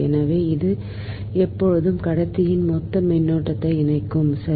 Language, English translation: Tamil, so it will always link the total current in the conductor right